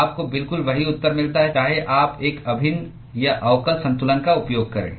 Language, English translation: Hindi, You get exactly the same answer whether you use an integral or differential balance